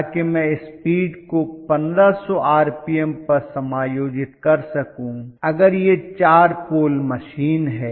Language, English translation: Hindi, So that I can adjust the speed to exactly 1500 rpm if it is 4 pole machine